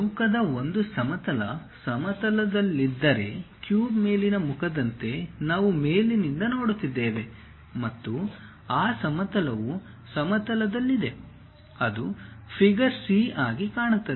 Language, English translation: Kannada, If the square lies in the horizontal plane, like the top face of a cube; we are looking from the top and that plane is on the horizontal plane, it will appear as figure c